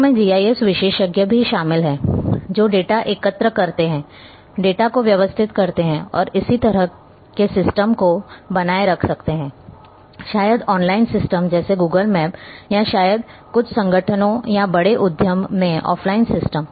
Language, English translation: Hindi, People also include the GIS experts those who collect the data, organize the data and maintain such systems maybe online systems like Google map or maybe offline systems in some organizations or large enterprise